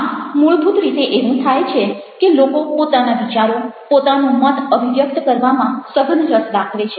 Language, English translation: Gujarati, so what basically is happing is that people are intensely interested in expressing their ideas, their views